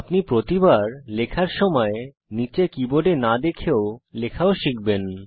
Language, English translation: Bengali, You will also learn to type, Without having to look down at the keyboard every time you type